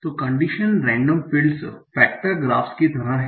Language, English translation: Hindi, So condition and the field are like factor graphs